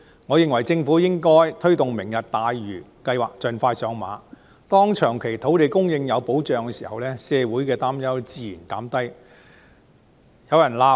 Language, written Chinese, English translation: Cantonese, 我認為政府應該推動"明日大嶼"計劃盡快上馬，當長期土地供應有保障時，社會的擔憂自然得以紓緩。, I think that the Government should expeditiously commence the Lantau Tomorrow project . When long - term land supply is ensured the concern in society will naturally be alleviated